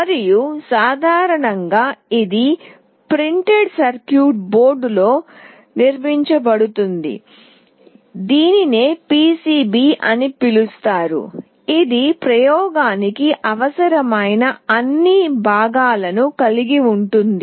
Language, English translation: Telugu, And, it is generally built on a printed circuit board that is called PCB containing all the components that are required for the experimentation